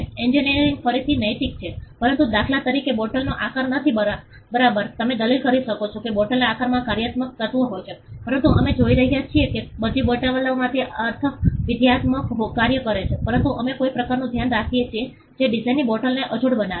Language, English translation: Gujarati, A engineering again esthetic, but not shape of a bottle for instance ok, you may argue that the shape of the bottle has a functional element, but we are looking at all bottles have functional function in that sense, but we are looking at some kind of a design which makes a bottle look unique